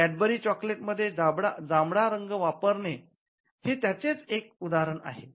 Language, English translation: Marathi, So, the use of purple in Cadbury chocolates is one such instance